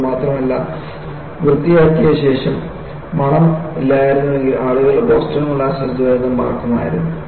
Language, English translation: Malayalam, Not only this, after cleaning if there is no smell, people would have forgotten Boston molasses disaster